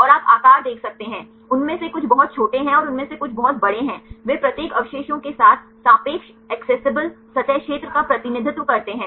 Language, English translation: Hindi, And you can see the size, some of them are very small and some of them are very big they represent the relative accessible surface area of each residues